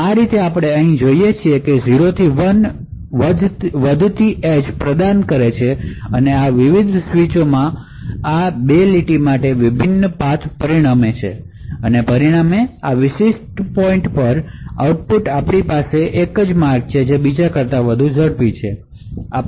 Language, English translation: Gujarati, So thus we see over here that providing a rising edge 0 to 1 transition to these various switches would result in a differential path for these 2 lines and as a result, at the output at this particular point we have one path which is faster than the other